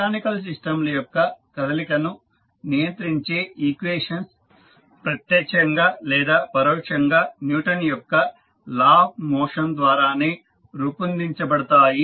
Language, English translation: Telugu, The equations governing the motion of mechanical systems are directly or indirectly formulated from the Newton’s law of motion